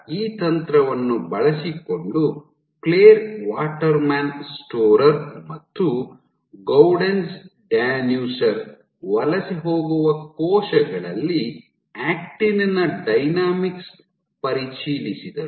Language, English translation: Kannada, So, using this technique, Clare Waterman Storer and Gaudenz Danuser they probed the role of acting dynamics in migrating cells